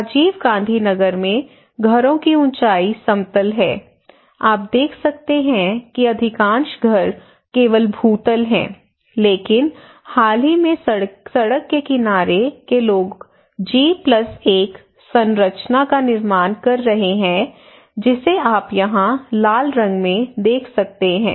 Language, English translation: Hindi, So here is a building height in Rajiv Gandhi Nagar you can see the most of the houses are ground floor only, but recently particularly close to the roadside people are constructing G+1 structure that is you can see in red here in the right hand side